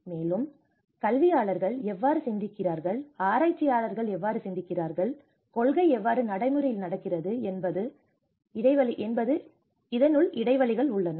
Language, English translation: Tamil, Also, there has been gaps in how education thinks and how research thinks and how the policy thinks how the practice